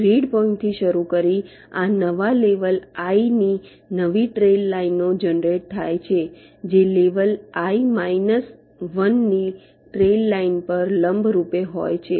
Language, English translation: Gujarati, starting from the grid points, new trail lines of this new level i are generated that are perpendicular to the trail trail line of level i minus one